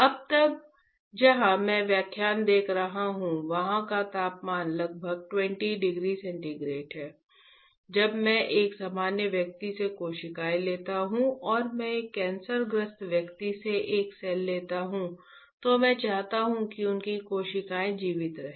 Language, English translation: Hindi, To right now, where I am taking this lecture the temperature is about 20 degree centigrade, I want, when I take the cells from a normal person and I take a cells from a cancerous person I want their cells to be alive